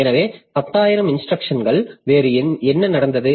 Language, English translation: Tamil, So, over 10,000 instructions, what has happened